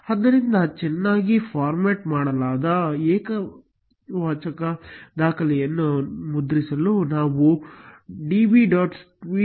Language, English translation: Kannada, Therefore, to print a well formatted singular record, we can use the command db